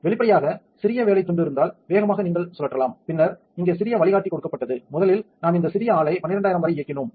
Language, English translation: Tamil, Obviously, the smaller the workpiece the faster you can spin and then given little guideline here, first we ran this little guy up to 12000